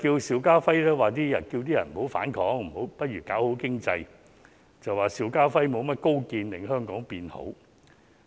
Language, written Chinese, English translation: Cantonese, 邵家輝議員要求市民不要反抗，不如搞好經濟，朱議員便說邵議員沒甚麼高見令香港變好。, Mr SHIU Ka - fai had urged members of the public to stop fighting and work together to improve the economy; yet Mr CHU accused Mr SHIU of failing to give insight into how to make Hong Kong better